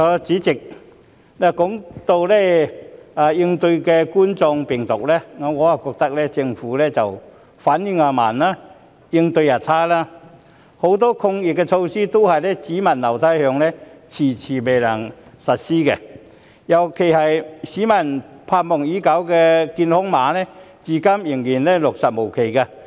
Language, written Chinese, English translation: Cantonese, 主席，談到應對冠狀病毒，我覺得政府反應慢及應對差，很多抗疫措施都"只聞樓梯響"，遲遲未能實施，尤其是市民盼望已久的健康碼，至今仍然落實無期。, President on the issue of combating the epidemic I think the Government is responding slowly and inadequately . Many epidemic measures are still nowhere to be seen and have been delayed in implementation in particular the implementation date of the long - awaited health code has yet to be set